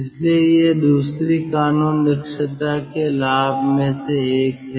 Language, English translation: Hindi, so this is, uh, ah, one of the advantage of second law efficiency